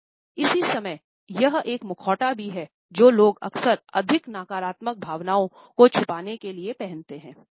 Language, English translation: Hindi, And at the same time this interestingly is also a mask which people often wear to hide more negative emotions